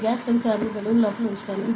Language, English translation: Telugu, So, I will put the gas sensor inside a balloon ok